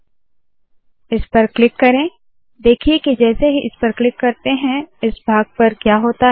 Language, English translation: Hindi, So as I do it, lets click this, look at this as I click what happens to this part